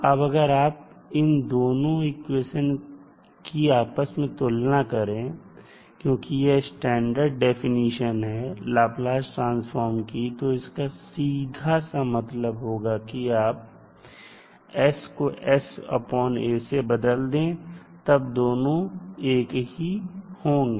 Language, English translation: Hindi, Now if you compare the these two equations because this is the standard definition of the Laplace transform, so that means that you are simply replacing s by a